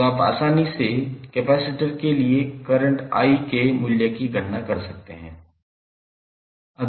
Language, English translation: Hindi, So, you can easily calculate the value of current I for capacitor